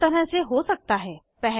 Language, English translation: Hindi, This can be done in 2 ways 1